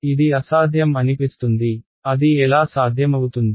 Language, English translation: Telugu, It seems impossible, how is it possible right